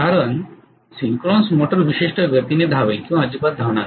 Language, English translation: Marathi, Because synchronous motor will run at particular speed or does not run at all